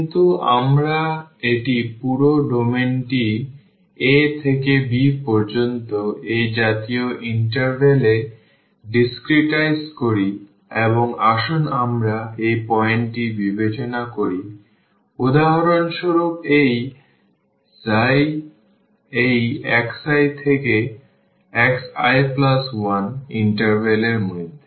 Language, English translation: Bengali, But, we have discretized this the whole domain from a to b into n such intervals and let us consider this point for instance this x i i within the interval this x i to x i plus one